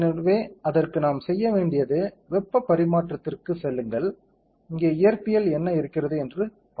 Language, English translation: Tamil, So, for that what we have to do is, go to heat transfer, we will see what are physics are there here